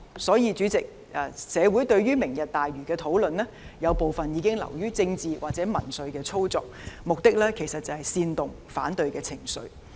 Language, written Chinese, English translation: Cantonese, 所以，主席，社會對於"明日大嶼"的討論，有部分已經流於政治或民粹操作，目的是煽動反對情緒。, Therefore President I think that some of the discussions on Lantau Tomorrow have become political or populist manipulations with the aim of inciting resentful sentiments